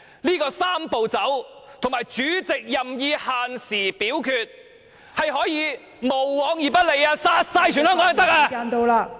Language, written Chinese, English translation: Cantonese, 這個"三步走"及主席任意限時表決，是可以無往而不利，殺了所有香港人也可以。, This Three - step Process and the Presidents power to imposing time limit for voting will always prevail . That can even kill all Hong Kong people